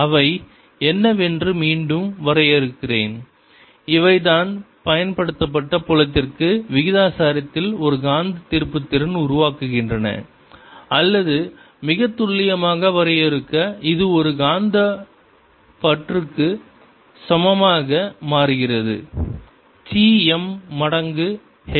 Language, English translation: Tamil, these are the ones that develop a magnetic moment proportional to the applied field, or, to define it very precisely, this becomes equal to a magnetic susceptibility: chi m times h